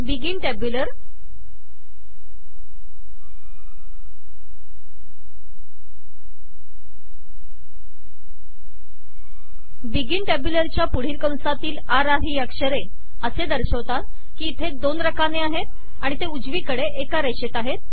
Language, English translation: Marathi, The r r characters within the braces next to the begin tabular say that there are two columns and that they are right aligned